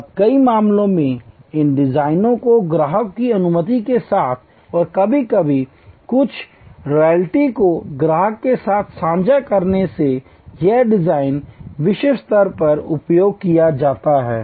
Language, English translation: Hindi, Now, in many cases these designs with customers permission and sometimes sharing of some royalty with the customer this designs are use globally